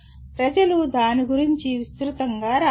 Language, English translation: Telugu, People have written extensively about that